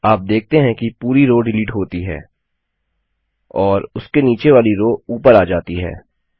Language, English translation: Hindi, You see that the entire row gets deleted and the row below it shifts up